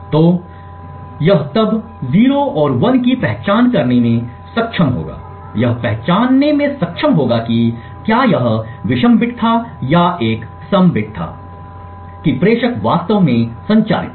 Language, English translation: Hindi, So, it would then be able to identify 0s and 1s it would be able to identify whether it was odd bit or an even bit that the sender had actually transmitted